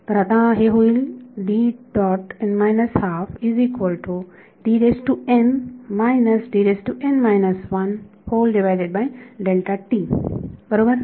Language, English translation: Marathi, So, it will be